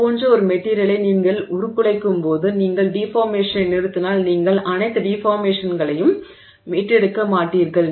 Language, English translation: Tamil, So, now when you deform a material like that, if you stop the deformation, you will not recover all of the deformation